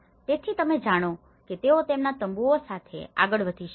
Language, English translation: Gujarati, So that, you know they can move with their tents